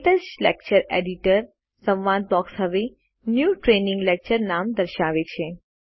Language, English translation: Gujarati, The KTouch Lecture Editor dialogue box now displays the name New Training Lecture